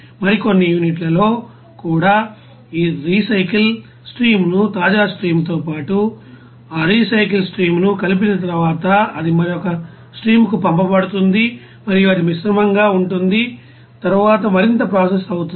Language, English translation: Telugu, And some also units will have that recycle stream along with the fresh stream and then after that mixing up that recycle stream and it will be sent to another stream and it will mixed and then process further